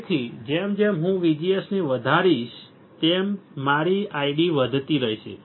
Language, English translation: Gujarati, So, as I keep on increasing VGS my I D will keep on increasing